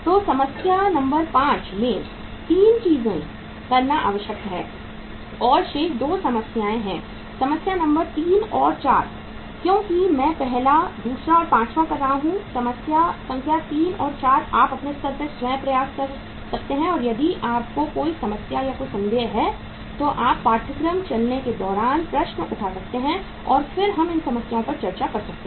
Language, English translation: Hindi, So 3 things are required to be done in the problem number 5 and remaining 2 problems that is problem number 3 and 4 because I am doing first, second, and fifth; problem number 3 and 4 you can try at your level yourself and if you have any problem or any doubt you can raise your queries during when the course uh will run and then we can discuss these problems